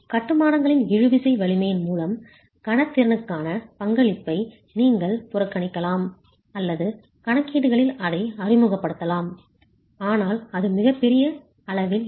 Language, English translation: Tamil, You can either neglect the contribution to the moment capacity by the tensile strength of the masonry or introduce that into the calculations but that's going to be a very small quantity